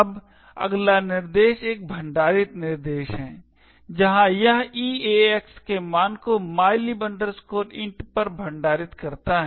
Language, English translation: Hindi, Now, the next instruction is a store instruction, where it stores a value of EAX to mylib int